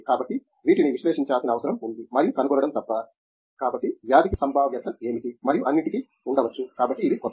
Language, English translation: Telugu, So, which need to be analyzed and unless to find out, so what could be the probabilities in for disease and all that, so these are the new recent